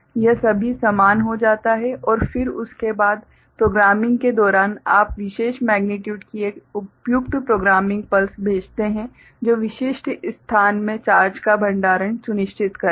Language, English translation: Hindi, It becomes all equal and then after that during programming you send an appropriate programming pulse of particular magnitude which will ensure storage of charge in specific location